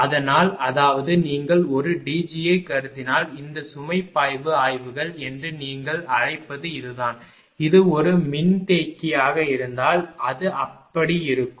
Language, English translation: Tamil, So; that means, this is the your what you call that load flow studies if you consider a D G the concept will be like this, if it is a capacitor it will be like this